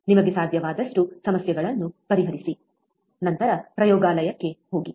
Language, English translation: Kannada, Solve as many problems as you can, then go to the laboratory